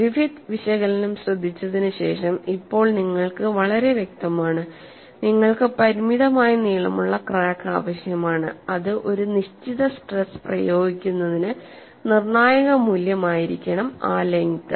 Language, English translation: Malayalam, After having listened to Griffith analysis, now you are very clear, you need to have a finite length of crack which has to be a critical value for a given stress applied, only then crack propagation take place